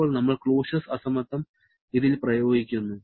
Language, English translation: Malayalam, Now, we are applying the Clausius inequality on this